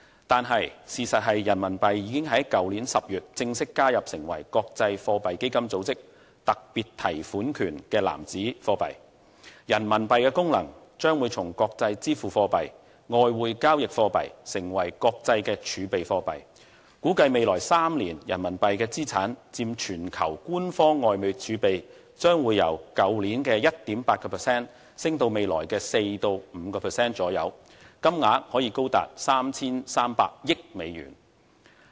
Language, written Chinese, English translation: Cantonese, 然而，事實上，人民幣已於去年10月正式加入成為國際貨幣基金組織特別提款權的貨幣籃子，人民幣的功能將會從國際支付貨幣、外匯交易貨幣變成為國際的儲備貨幣，估計未來3年人民幣的資產佔全球官方外匯儲備，將由去年的 1.8% 升至未來的 4% 至 5% 左右，金額可高達 3,300 億美元。, In fact following the International Monetary Funds inclusion of RMB in its Special Drawing Rights currency basket in October last year RMB will change in function evolving from an international payment currency and a currency for foreign exchange trading and settlement to an international reserve currency . It is estimated that the proportion of RMB assets in global official foreign currency reserves will increase from 1.8 % last year to 4 % or 5 % in the coming three years amounting to US330 billion